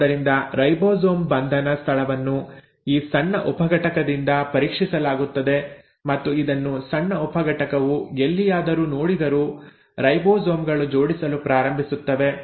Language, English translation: Kannada, So the ribosome binding site is kind of scanned by this small subunit and wherever the small subunit will see this, the ribosomes will start assembling